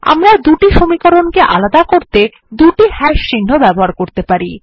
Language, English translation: Bengali, We have used the double hash symbols to separate the two equations